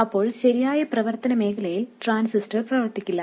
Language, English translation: Malayalam, The transistor will not be operating in the correct region of operation